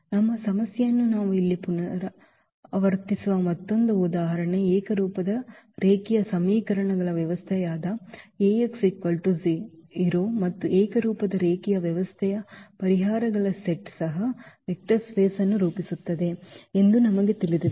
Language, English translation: Kannada, Another example where we will revisit the our problem here A x is equal to 0, the system of homogeneous linear equations and we know that the solutions set of a homogeneous linear system also forms a vector space